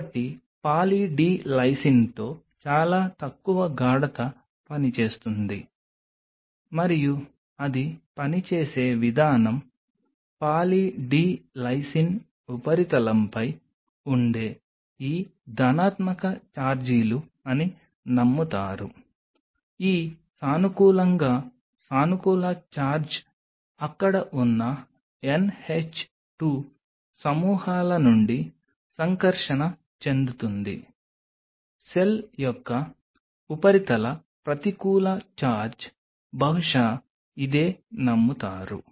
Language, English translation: Telugu, So, with Poly D Lysine a very low concentration does work and the way it works it is believed to be these positive charges which are on the surface of Poly D Lysine these positively positive charge is from NH 2 groups which are present there interact with the surface negative charge of the cell possibly this is what is believed